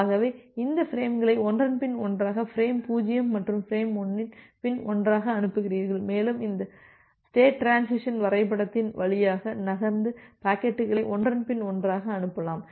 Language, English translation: Tamil, So, that way you send this frames one after another frame 0’s and frame 1’s, one after another and you move through this state transition diagram to send the packets one after another